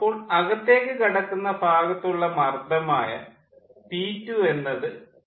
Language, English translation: Malayalam, so this pressure is known, this pressure is equal to p two